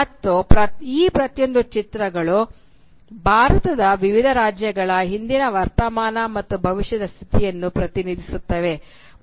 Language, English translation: Kannada, And each of these images they represent in the novel different states of the country India in past, present, and future